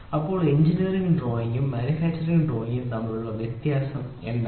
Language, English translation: Malayalam, So, what is the difference between the engineering drawing and manufacturing drawing